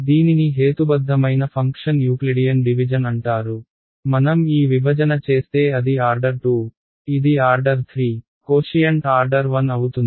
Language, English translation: Telugu, It is called Euclidean division of rational functions, if I do this division this is order 2, this is order 3, the quotient will be order 1 right